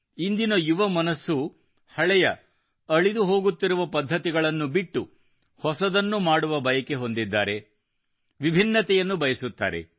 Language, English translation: Kannada, And today's young minds, shunning obsolete, age old methods and patterns, want to do something new altogether; something different